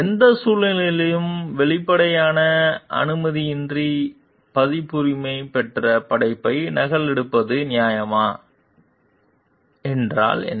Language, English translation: Tamil, Under what if any circumstances is it fair to copy a copyrighted work without explicit permission